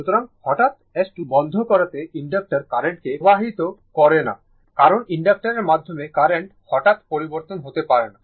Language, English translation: Bengali, So, sudden closing of S 2 does not affect the inductor current, because the current cannot change abruptly through the inductor